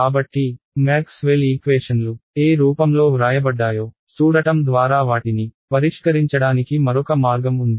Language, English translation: Telugu, So, the other way of solving them is by looking at what form in which Maxwell’s equations are written